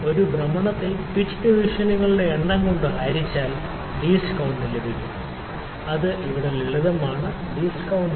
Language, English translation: Malayalam, In one rotation that is pitch divided by number of divisions is a least count, they are simple relation here